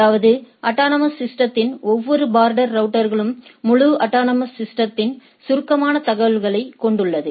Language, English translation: Tamil, So, that means, the border router of every autonomous system have a summarized information of the whole autonomous systems